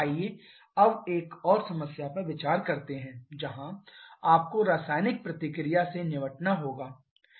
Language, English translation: Hindi, Let us now consider another problem where you have to deal with the chemical reaction itself